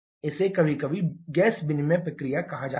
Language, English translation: Hindi, This is sometimes referred the gas exchange process